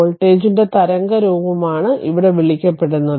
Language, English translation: Malayalam, And here it is your what you call that waveform of the voltage is given